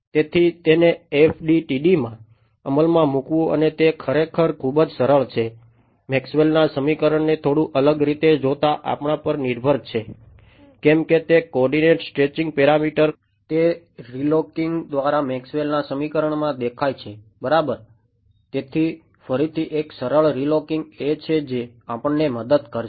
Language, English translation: Gujarati, So, implementing it into FDTD and turns out its actually very simple just depends on us looking at Maxwell’s equation a little bit differently; why because that coordinate stretching parameter it appeared in Maxwell’s equation just by relooking right